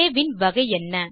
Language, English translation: Tamil, What is the type of a